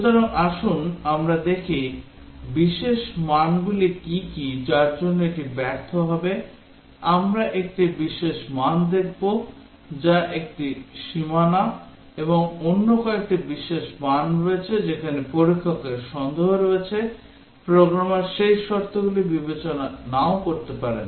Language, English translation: Bengali, So let us see what are the special values at which it will fail, we will look at one special value is a boundary and there are other special values where the tester has suspicion that the programmer might not have considered those conditions